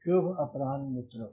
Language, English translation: Hindi, so good afternoon friends